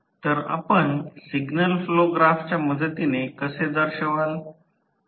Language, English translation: Marathi, So, how you will represent with a help of signal flow graph